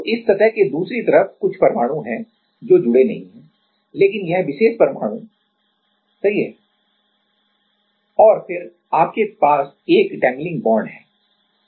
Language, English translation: Hindi, So, on the other side of this surface there are some atoms which are not connected to, but this particular atom right and then you have 1 dangling bond